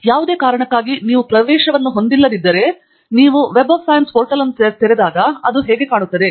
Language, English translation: Kannada, In case you do not have a access for any reason, then when you open the Web of Science portal, then this is how it looks like